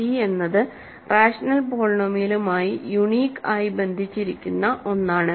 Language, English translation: Malayalam, So, c is something uniquely attached to rational polynomial